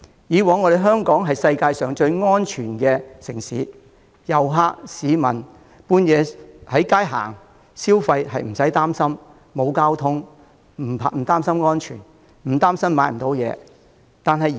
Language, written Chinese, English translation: Cantonese, 香港以往是世界最安全的城市，遊客和市民半夜在街上行走或消費不會擔憂，沒有交通工具亦不擔心安全，更不會擔心買不到東西。, Hong Kong used to be the safest city in the world tourists and local people had no fears when walking down the street or engaging in outdoor consumer activities at midnight safety was not an issue to them even when means of transport were out of reach and they would not worry about the availability of goods when they went shopping